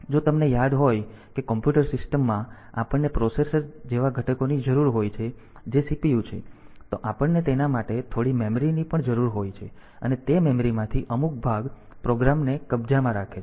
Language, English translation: Gujarati, So, if you remember that in a computer system we need the components like the processor which is the CPU then we need some memory for that and out of that memory some part is the will hold the program